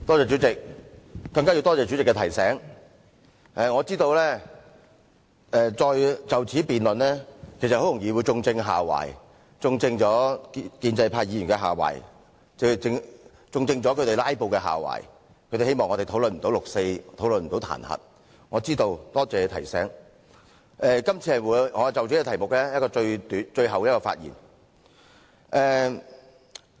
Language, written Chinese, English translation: Cantonese, 主席，多謝主席提醒，我知道就此再辯論下去，很容易就會正中建制派議員"拉布"的下懷，他們想令我們沒有時間討論有關"六四"和彈劾的議案，我是知道的，亦多謝提醒，所以今次會是我就這項修正案最後一次發言。, Chairman thank you for the reminder . I know a continuous debate on this is exactly what the pro - establishment Members want . They want to filibuster so that we will have no time to discuss the motion on the 4 June incident and the censure motion